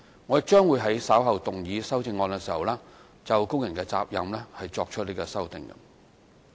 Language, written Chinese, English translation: Cantonese, 我亦將會在稍後動議修正案時，就工人責任作出修訂。, I will propose revising the duties of workers in my upcoming amendments